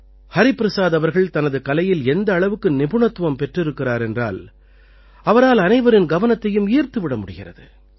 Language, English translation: Tamil, Hariprasad ji is such an expert in his art that he attracts everyone's attention